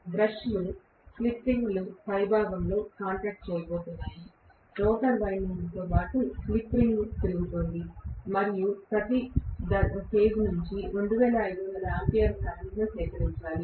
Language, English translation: Telugu, The brushes are going to make a contact on the top of the slip ring, the slip ring is rotating along with the rotor winding and a have to collect 2500 ampere of current from every phase, right